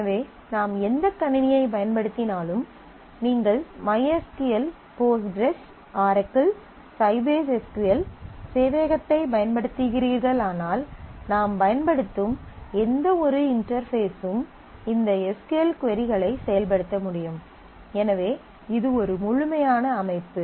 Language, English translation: Tamil, So, whatever system we are using whether you are using mySQL, Postgres, Oracle, Sybase SQL server whatever you using that has some interface through which these SQL queries can be executed, so that is kind of a standalone complete system